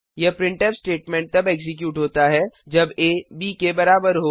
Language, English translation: Hindi, This printf statement executes when a is equal to b